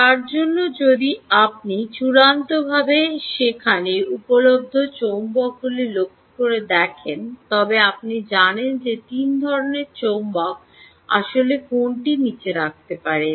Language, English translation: Bengali, for that, if you look carefully at the magnets which are available, there are basically, ah, um, ah, um, you know, three types of magnets which one can actually put down